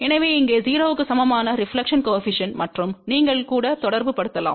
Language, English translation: Tamil, So, the reflection coefficient equal to 0 over here and you can even correlate